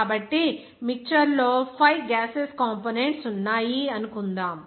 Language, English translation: Telugu, So, suppose there are 5 gaseous components in a mixture